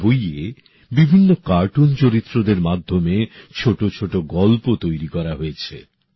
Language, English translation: Bengali, In this, short stories have been prepared through different cartoon characters